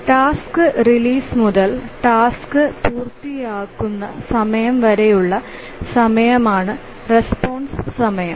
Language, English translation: Malayalam, The response time is the time from the release of the task till the task completion time